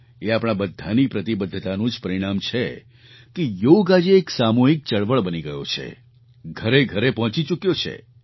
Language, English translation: Gujarati, It is the result of our concerted efforts and commitment that Yoga has now become a mass movement and reached every house